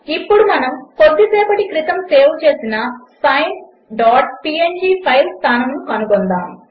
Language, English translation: Telugu, Now let us locate the file sine dot png which we had saved a while ago